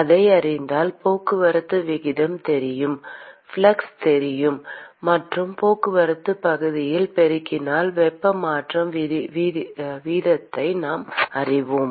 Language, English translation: Tamil, And if we know that, we know the transport rate, we know the flux and we multiply by the transport area, we will know the heat transfer rate